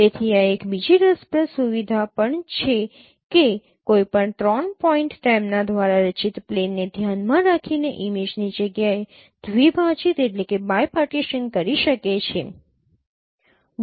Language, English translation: Gujarati, So this is also another interesting feature that any three points can bi partition the image space with respect to the plane formed by them